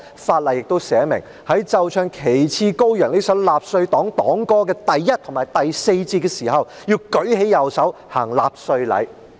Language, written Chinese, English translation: Cantonese, 法例亦訂明，在奏唱"旗幟高揚"這首納粹黨黨歌的第一節和第四節時，要舉起右手行納粹禮。, This law also stipulated that people shall have their right arms raised in Nazi salute when the first and fourth verses of Die Fahne Hoch the Nazi Party anthem was played and sung